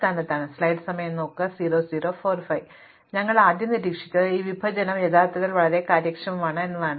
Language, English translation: Malayalam, So, the first thing we observed is that this partitioning actually is quite efficient